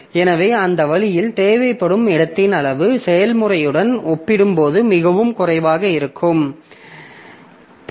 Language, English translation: Tamil, So that way the amount of space required may be much less compared to the process